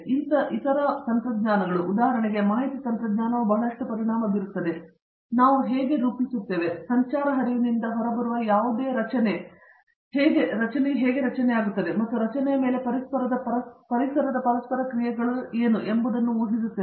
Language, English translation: Kannada, Then other technologies, for example, Information technology is affecting a lot, how we model and how we predict anything going from traffic flow to how a structure behaves and what are the interactions of environmental on a structure